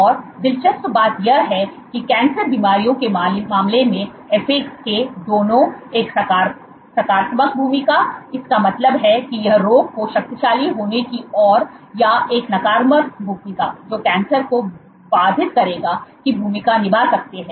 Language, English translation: Hindi, And interestingly in the case of diseases like cancer FAK can play both a positive role; that means, it leads to potentiation of the disease or a negative role which will inhibit cancer